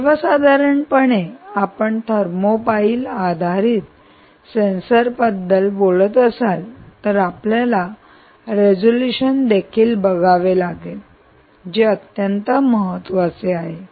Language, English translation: Marathi, if you are talking about thermopile based sensors, you may also want to look at resolution, which is an very important things